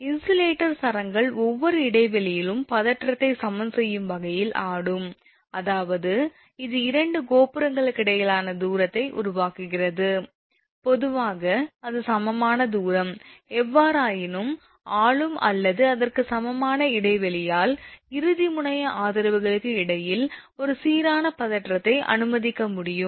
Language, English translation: Tamil, Since the insulator strings would swing so as to equalize the tension in each span; that means, more or, actually it is make generally distance between the two towers, generally it is equal distance right, but anyway your things as say unequal span if it happens; however, it is possible to assume a uniform tension between dead end supports by ruling span or equivalent span